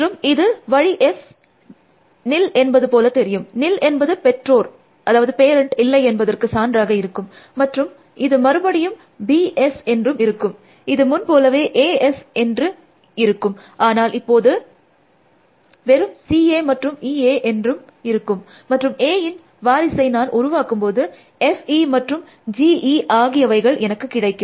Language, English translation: Tamil, And my route will look like S comma nil, a nil stands for no parent, and then this will be again B S, this would be A S as before, but this would be now only C A and E A, and when I generate successors of A, I will get F E and G E